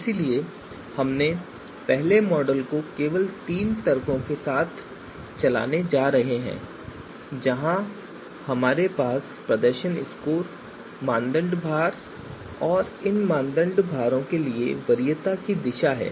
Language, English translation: Hindi, So therefore first model we are going to run is just using three arguments where we have the performance scores, the criteria weights and the preference direction for these criteria so let us run this